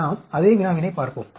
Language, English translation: Tamil, Let us look at same problem